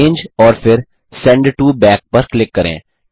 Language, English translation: Hindi, Click on Arrange and then Send to back